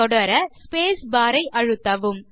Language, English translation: Tamil, To continue, lets press the space bar